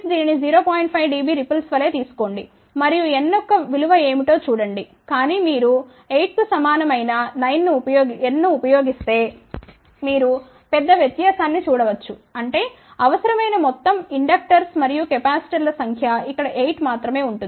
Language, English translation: Telugu, 5 dB ripple and see what would be the value of n , but you can see the big difference if you use n equal to 8; that means, total number of inductors and capacitors required will be only 8 here total number of components required will be 19